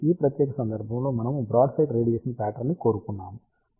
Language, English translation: Telugu, So, in this particular case we wanted a broadside radiation pattern